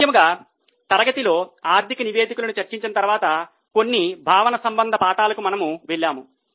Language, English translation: Telugu, In the class particularly after discussing the financial statements, we have gone into some of the conceptual parts